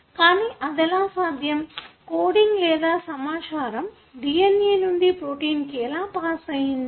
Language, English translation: Telugu, So how this is, the coding or, the information from the DNA to protein is passed on